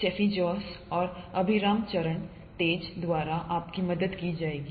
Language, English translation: Hindi, You will be ably helped by Steffi Jose and Abhiram Charan Tej